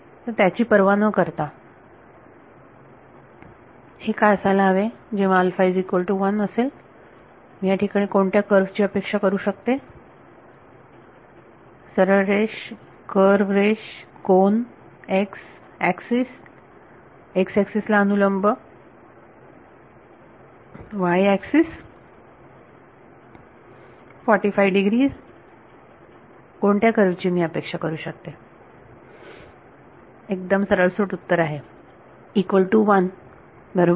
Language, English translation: Marathi, So, regardless of; so, what should this for when alpha is equal to 1 what kind of a curve I will expect here, straight line, curved line, angle, vertical to x axis, y axis, 45 degrees what kind of curve do I expect; straight flat line right answer is equal to 1 right